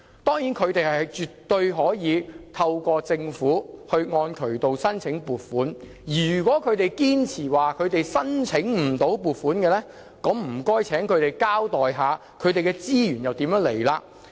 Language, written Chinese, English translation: Cantonese, 當然，他們絕對可按渠道向政府申請撥款，如果他們堅持自己申請不到撥款，那就請他們交代一下資源從何而來？, Of course they can apply for funding from the Government through normal channels . If they insist on their claim that they could not secure any funding they should explain to us where do they get the resources